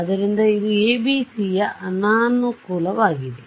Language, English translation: Kannada, So, it was a disadvantage of ABC ok